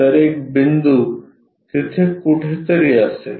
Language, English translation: Marathi, So, a point will be somewhere there